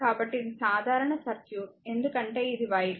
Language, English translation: Telugu, So, this is a simple circuit because this is raw air